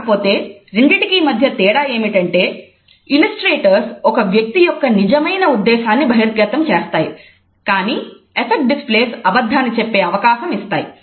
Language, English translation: Telugu, The only difference is that illustrators, illustrate the true intention of a person, but affect displays allow us to tell a lie